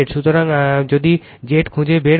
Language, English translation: Bengali, So, if you find out Z